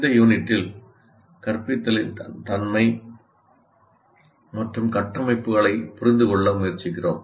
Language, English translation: Tamil, But in this unit, we try to understand the nature and constructs of instruction